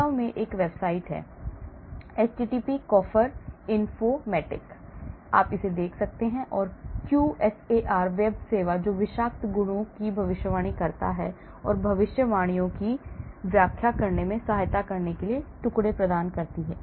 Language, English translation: Hindi, in fact there is a website http coffer informatik; you look at this, QSAR web service that predicts toxicity properties and provides fragments to aid interpreting predictions